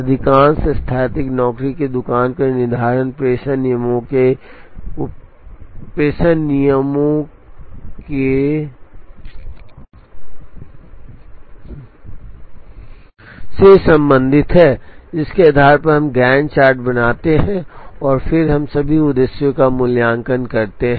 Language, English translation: Hindi, Most static job shop scheduling is concerned with the use of dispatching rules, based on which we draw Gantt charts and then we evaluate all the objectives